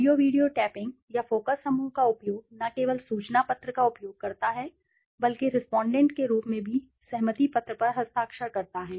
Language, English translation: Hindi, Audio/ videotaping or conducting a focus group use not only information sheet but also have the respondent sign a consent form as well